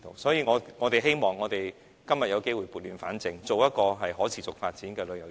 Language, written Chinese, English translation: Cantonese, 所以，希望今天有機會撥亂反正，推動一個可持續發展的旅遊業。, Hence I hope that we have the chance today to set wrong things right and promote sustainable tourism